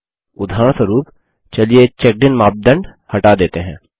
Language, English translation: Hindi, For example, let us remove the Checked In criterion